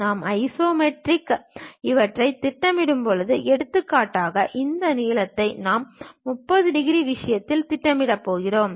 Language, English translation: Tamil, And when we are projecting these in the isometric; for example, this length we are going to project it at 30 degrees thing